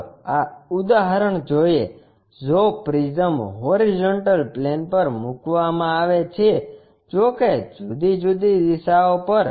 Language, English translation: Gujarati, Let us look at this example, if a prism is placed on horizontal plane; however, at different directions